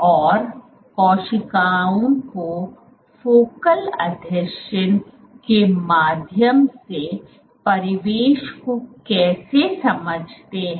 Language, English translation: Hindi, And how do the cells sense the surroundings through focal adhesions